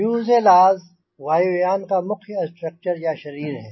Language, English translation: Hindi, the fuselage is the main structure or body of the aircraft